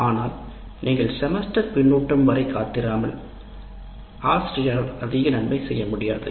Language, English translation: Tamil, So what happens is, but if you wait for the end of the semester feedback, then there is nothing much the teacher can do